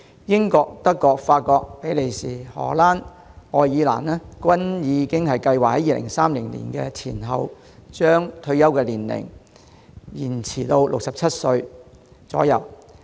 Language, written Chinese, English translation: Cantonese, 英國、德國、法國、比利時、荷蘭及愛爾蘭均已計劃在2030年前後，將退休年齡延展至67歲左右。, The United Kingdom Germany France Belgium the Netherlands and Ireland have plans to extend the retirement age to about 67 around 2030